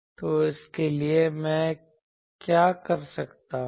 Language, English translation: Hindi, So, for that what I can do